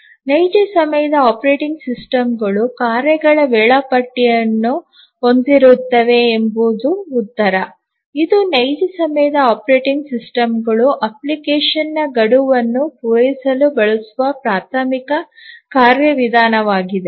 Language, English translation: Kannada, The answer is that the real time operating systems have a tasks scheduler and it is the tasks scheduler which is the primary mechanism used by the real time operating systems to meet the application deadlines